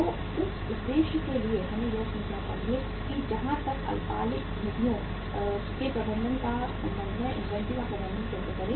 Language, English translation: Hindi, So for that purpose we should learn that how to manage inventory as far as the management of the short term funds is concerned